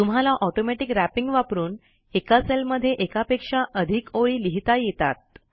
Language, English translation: Marathi, Automatic Wrapping allows a user to enter multiple lines of text into a single cell